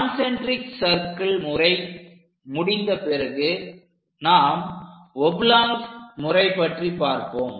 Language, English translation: Tamil, After doing this concentric circle method, we will go with oblong method